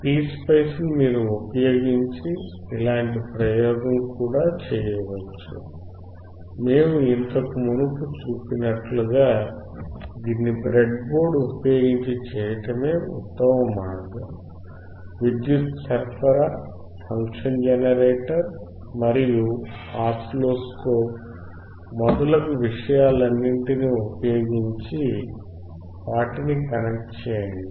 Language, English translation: Telugu, You can also do similar experiment using PSpice as we have seen earlier, but the best way of doing it is using breadboard, power supply, function generator, and oscilloscope